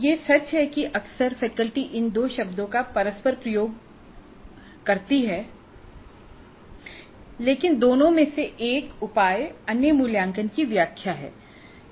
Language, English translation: Hindi, It is true that quite often faculty use these two terms interchangeably, but assessment is actually a measure and evaluation is an interpretation